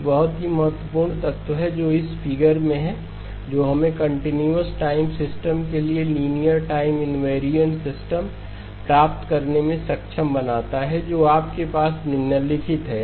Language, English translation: Hindi, One very key element that is in this figure which enables us to get the linear time invariant system for the continuous time system is that you have the following